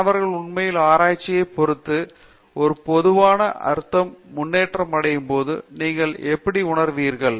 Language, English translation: Tamil, How would you feel, when do you feel you know the student is actually making progress in a general sense with respect to research